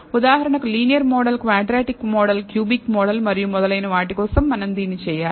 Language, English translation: Telugu, For example, we have to do this for the linear model the quadratic model the cubic model and so on so forth